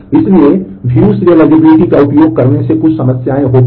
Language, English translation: Hindi, So, using view serializability have certain problems